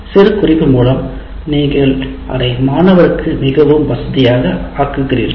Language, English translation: Tamil, By annotatingating that you make it more convenient for the student